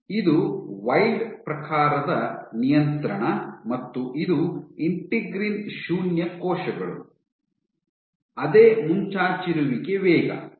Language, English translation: Kannada, So, this is your wild type of control and this is your integrin null cells; so same protrusion rate